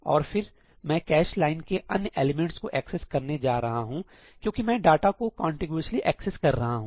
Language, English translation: Hindi, And then I am going to access the other elements of that cache line because I am accessing data contiguously